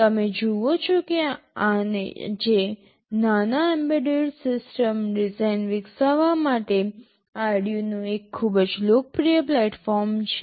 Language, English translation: Gujarati, You see Arduino is a very popular platform for developing small embedded system design today